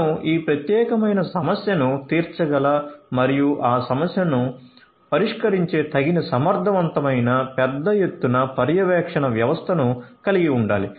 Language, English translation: Telugu, So, you need to have you know suitable efficient large scale monitoring system that will cater to this particular problem and an addressing that problem